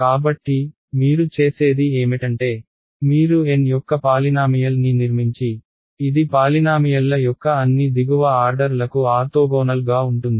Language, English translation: Telugu, So, what you do is you construct a polynomial of order N such that it is orthogonal to all lower orders of polynomials ok